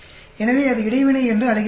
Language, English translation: Tamil, So, that is called Interaction